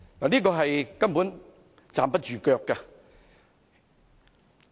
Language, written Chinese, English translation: Cantonese, 這根本站不住腳。, It simply does not hold water